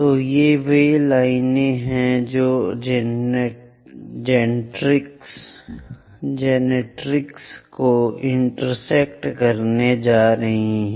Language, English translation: Hindi, So, these are the lines which are going to intersect the generatrix